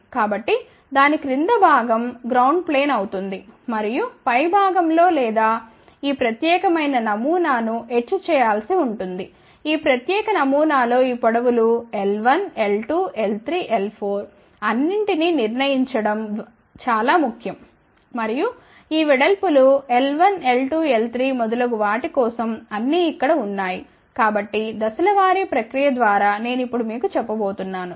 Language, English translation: Telugu, So, that will be a bottom will be a ground plane and on the top or you have to do it is etch out this particular pattern of course, in this particular pattern it is very important to determine all these lengths l 1, l 2, l 3, l 4 and all these widths over here ok for l 1, l 2, l 3 and so on, ok